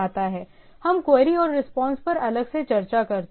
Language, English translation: Hindi, We discuss the query and response separately